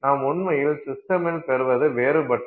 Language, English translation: Tamil, And therefore what you actually get in the system is different